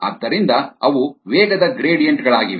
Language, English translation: Kannada, so those are velocity gradients